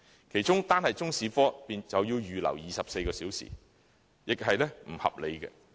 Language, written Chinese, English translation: Cantonese, 其中，單是中史科便要預留24小時，並不合理。, It is unreasonable that among the four subjects Chinese History alone is required to set aside 24 hours